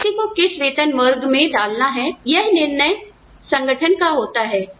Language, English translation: Hindi, So, which pay bracket to put somebody into, is the decision of the organization